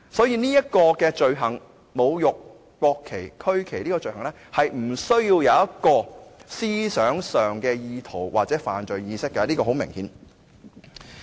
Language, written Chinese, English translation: Cantonese, 因此，侮辱國旗及區旗這個罪行是無需有思想上的意圖或犯罪意識，這是很明顯的。, Therefore it is not necessary for the offence of desecrating the national flag and the regional flag to have an intent mentally or a guilty mind . This is very obvious